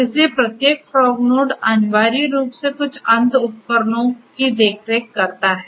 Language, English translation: Hindi, So, every fog node essentially takes care of a few end devices